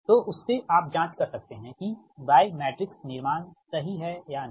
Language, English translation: Hindi, so from that you can check out whether your y matrix are construction is correct or not right